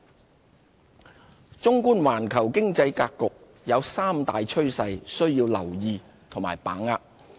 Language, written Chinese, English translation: Cantonese, 環球經濟格局綜觀環球經濟格局，有三大趨勢需要留意和把握。, In view of the global economic landscape we need to keep abreast of three major trends and ride on them